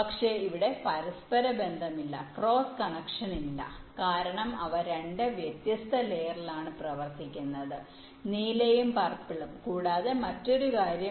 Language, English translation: Malayalam, but here there is no interconnection, no cross connection, because they are running on two different layers, blue and purple